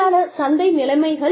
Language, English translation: Tamil, Labor market conditions